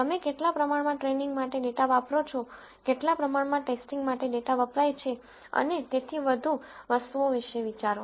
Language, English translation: Gujarati, What proportion of data you use for training, what proportion of data used for testing and so on are things to think about